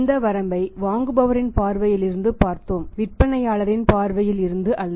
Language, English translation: Tamil, And this limitation is from the perspective of buyer not from the perspective of seller